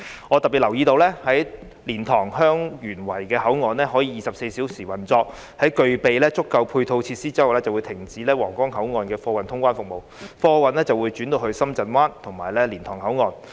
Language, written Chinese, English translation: Cantonese, 我留意到當蓮塘/香園圍口岸可以24小時運作，在具備足夠配套設施後，便會停止皇崗口岸的貨運通關服務，貨運會轉至深圳灣和蓮塘口岸。, I note that the cargo clearance service of Huanggang Port will cease after the commencement of 24 - hour operation at the LiantangHeung Yuen Wai Control Point with the availability of sufficient supporting facilities . The cargo clearance services will then be shifted to the Shenzhen Bay Port and the Liantang Control Point